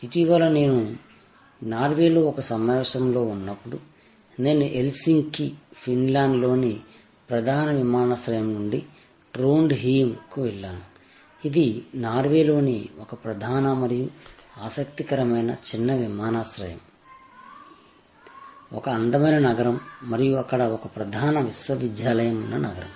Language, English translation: Telugu, Recently, when I was there at a conference in Norway, I flew from Helsinki the main airport of Finland to Trondheim, this, a main an interesting small airport of Norway, a beautiful city and the seat of a major university there